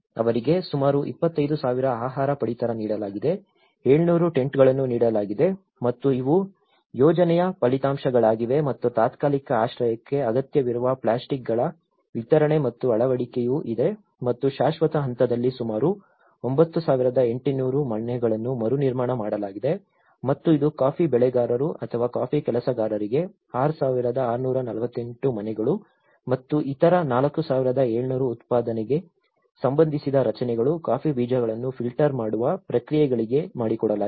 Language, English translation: Kannada, They have got about 25,000 food rations have been provided, 700 tents have been provided and these are the project outcomes and there is also the delivery and installation of the plastics needed for the temporary shelter and in the permanent phase about 9,800 houses have been rebuilt and which 6,648 house for coffee growers or coffee workers and others 4,700 production related structures for like the coffee beans filtering processes